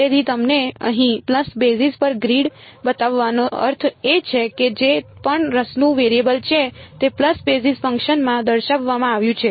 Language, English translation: Gujarati, So, having shown you the grid over here pulse basis means whatever is the variable of interest is expressed in the pulse basis function